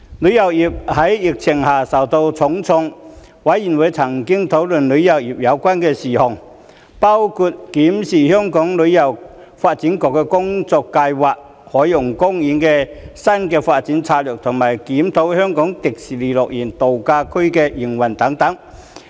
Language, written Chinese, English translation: Cantonese, 旅遊業在疫情下受到重創，事務委員會曾討論與旅遊有關的事宜，包括審視香港旅遊發展局的工作計劃、海洋公園的新發展策略和檢討香港迪士尼樂園度假區的營運等。, Noting that the tourism industry has suffered a heavy blow under the pandemic the Panel discussed tourism - related issues including reviewing the work plan of the Hong Kong Tourism Board the new development strategy for the Ocean Park and the operation of the Hong Kong Disneyland Resort